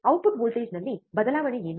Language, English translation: Kannada, What is change in output voltage